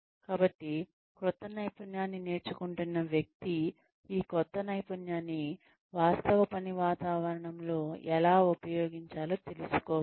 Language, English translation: Telugu, So, the person who is learning a new skill needs to know how to use this new skill, in the actual work environment